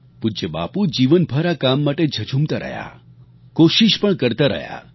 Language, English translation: Gujarati, Revered Bapu fought for this cause all through his life and made all out efforts